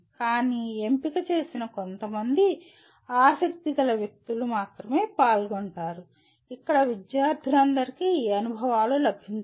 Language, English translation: Telugu, But only a selected, some interested people only will participate where all students are not likely to get these experiences